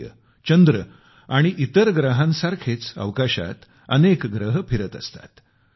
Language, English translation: Marathi, Sun, moon and other planets and celestial bodies are orbiting in space